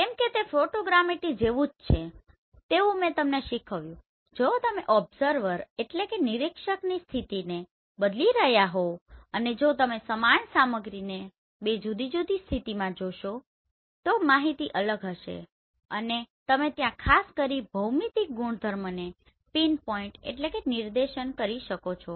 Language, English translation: Gujarati, Why because it is something like Photogrammetry I have taught you if you are changing the position of the observer and if you see the same material from two different position the information will be different and you can exactly pinpoint there properties especially the geometric properties